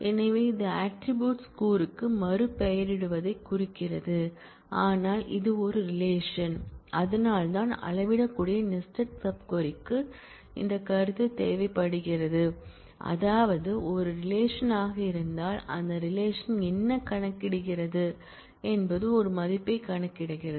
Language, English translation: Tamil, So, this as is renaming of attribute which means, but this is a relation that is why this notion of scalar sub query is required, that is though this is a relation what does the relation compute it computes a single value